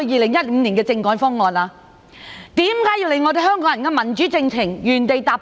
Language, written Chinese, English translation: Cantonese, 為何要令香港人的民主進程原地踏步？, Why did they bring the democratic development for Hong Kong people to a standstill?